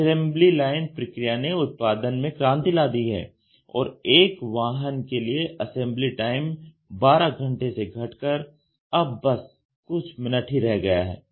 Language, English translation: Hindi, The assembly line processes revolutionized production and dropped the assembly time for a single vehicle from 12 hours to few minutes